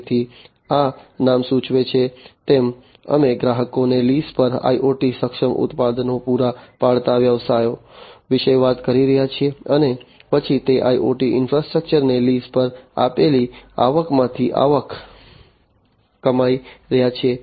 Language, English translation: Gujarati, So, basically you know as this name suggests, we are talking about businesses providing IoT enabled products on lease to customers, and then earning revenue from that leased out IoT infrastructure